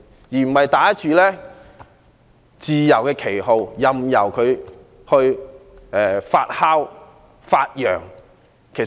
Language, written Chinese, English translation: Cantonese, 我們不應打着自由的旗號，任由其發揚壯大。, We should not allow it to develop and flourish under the banner of freedom